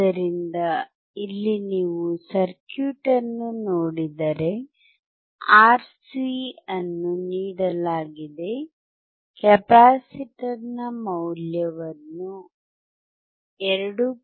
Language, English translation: Kannada, So, here if you see the circuit R is given, C is given, I am using the value of capacitor equals 2